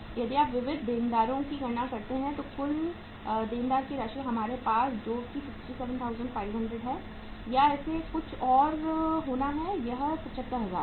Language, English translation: Hindi, If you calculate the sundry debtors total amount of the sundry debtors is with us that is 67,500 or it has to be something else it is 75,000